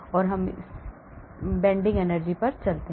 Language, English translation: Hindi, Let us go to bending energy now